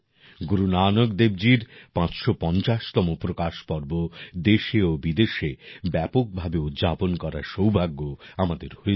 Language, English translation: Bengali, We had the privilege of celebrating the 550th Prakash Parv of Guru Nanak DevJi on a large scale in the country and abroad